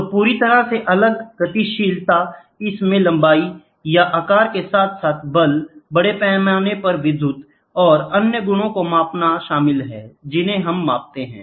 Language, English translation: Hindi, So, completely different dynamics, it includes length or size measured as well as measurement of force, mass electrical and other properties we measure